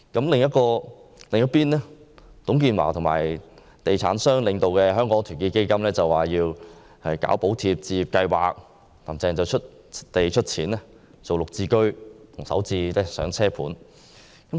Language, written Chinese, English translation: Cantonese, 另一邊廂，由董建華和地產商領導的團結香港基金倡議實施"補貼置業計劃"，"林鄭"遂出地出錢推出"綠置居"和"首置上車盤"。, On the other hand in respect of subsidizing home ownership scheme advocated by Our Hong Kong Foundation established by TUNG Chee - hwa and a bunch of property developers Carrie LAM renders support by providing land and money in launching the Green Form Subsidised Home Ownership Scheme and the Starter Homes